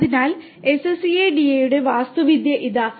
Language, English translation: Malayalam, So, here is the Architecture of SCADA